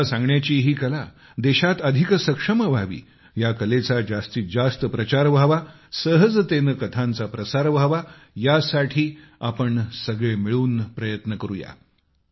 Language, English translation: Marathi, May this art of storytelling become stronger in the country, become more popularized and easier to imbibe This is something we must all strive for